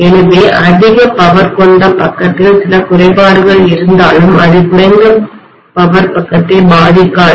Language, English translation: Tamil, So in the high power side if there is some fault that will not affect the low power side, right